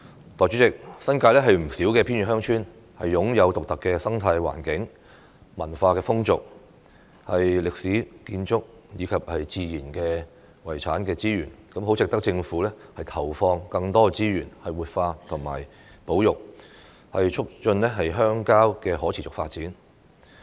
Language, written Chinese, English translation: Cantonese, 代理主席，新界不少偏遠鄉村擁有獨特的生態環境、文化風俗、歷史建築和自然遺產資源，十分值得政府投放更多資源活化和保育，促進鄉郊的可持續發展。, Deputy President many remote villages in the New Territories have unique ecological environment culture customs historical architecture and natural heritage resources that are worthy of the commitment of more resources by the Government for revitalization and conservation thus promoting the sustainable development of rural areas